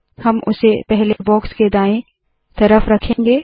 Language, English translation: Hindi, We will place it to the left of the first box